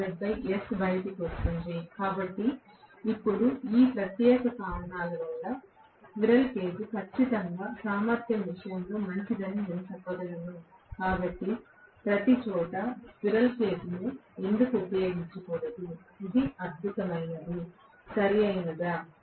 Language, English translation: Telugu, So now, I can say that squirrel cage definitely is better in terms of efficiency because of these particular reasons, so why not use squirrel cage everywhere, it is fantastic, Right